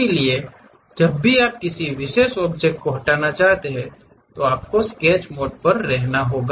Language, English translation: Hindi, So, whenever you would like to delete one particular object, you have to be on the Sketch mode